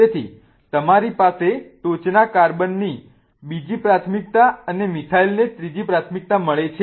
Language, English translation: Gujarati, So, do you have a second priority to the top carbon and methyl gets the third priority